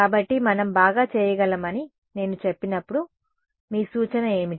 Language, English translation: Telugu, So, when I say can we do better, what would be your suggestion